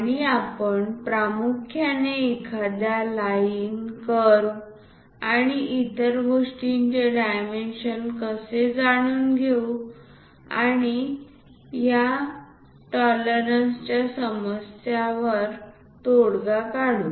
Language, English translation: Marathi, And we will mainly understand how to dimension a line, curve and other things and how to address these tolerances issue